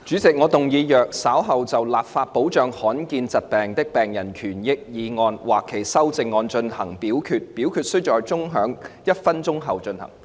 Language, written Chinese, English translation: Cantonese, 主席，我動議若稍後就"立法保障罕見疾病的病人權益"所提出的議案或修正案再進行點名表決，表決須在鐘聲響起1分鐘後進行。, President I move that in the event of further divisions being claimed in respect of the motion on Enacting legislation to protect the rights and interests of rare disease patients or any amendments thereto this Council do proceed to each of such divisions immediately after the division bell has been rung for one minute